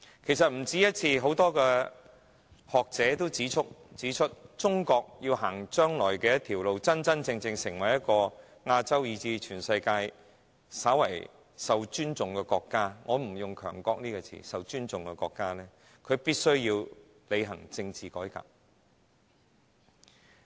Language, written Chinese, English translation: Cantonese, 其實不止一次，很多學者也曾指出，中國要在將來真正成為亞洲以至全世界稍為受尊重的國家——我不用"強國"一詞——她必須履行政治改革。, In fact many scholars have pointed out that for China to become a somewhat respected nation―I do not use the term powerful nation―both in Asia and the world it is imperative that she takes forward political reforms